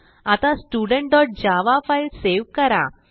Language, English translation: Marathi, Now save the file Student.java